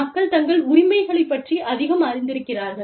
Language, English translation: Tamil, People are becoming, much more aware of their rights